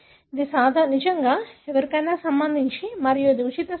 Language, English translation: Telugu, So, it really is something that is for anyone and it is a free site